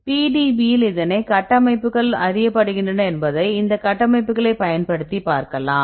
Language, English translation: Tamil, If you look into these structures how many structures are known in the PDB